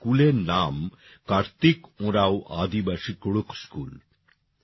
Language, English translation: Bengali, The name of this school is, 'Karthik Oraon Aadivasi Kudukh School'